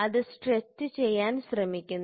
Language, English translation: Malayalam, So, it tries to stretch